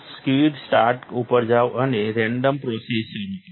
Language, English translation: Gujarati, Go to quick start and start a random process